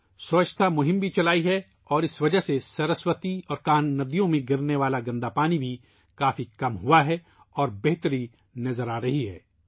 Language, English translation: Urdu, A Cleanliness campaign has also been started and due to this the polluted water draining in the Saraswati and Kanh rivers has also reduced considerably and an improvement is visible